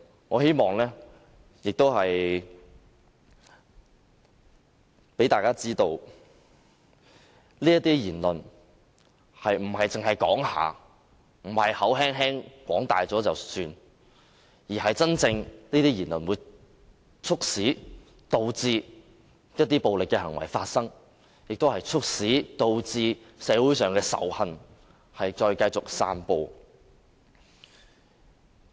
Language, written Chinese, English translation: Cantonese, 我希望讓大家知道，這些言論並不是草率地說了算，而是真的會促使一些暴力行為發生，亦會促使社會繼續散播仇恨。, I hope this will let people know that one should not make such reckless remarks because these remarks will encourage violent acts and further spread hatred in society